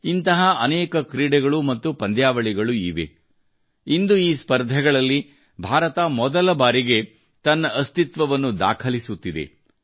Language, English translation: Kannada, There are many such sports and competitions, where today, for the first time, India is making her presence felt